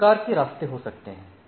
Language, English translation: Hindi, So, there can be different type of paths